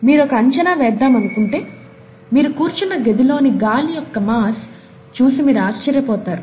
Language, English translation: Telugu, You may want to do this calculation, find out the mass of air in the room that you are sitting in